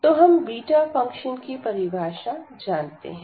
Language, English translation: Hindi, So, we can write down this as the beta